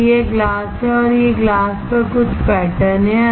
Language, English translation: Hindi, So, this is glass and these are some patterns on the glass